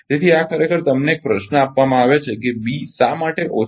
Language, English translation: Gujarati, So, this is actually ah given you a question that why B cannot be cannot be less than beta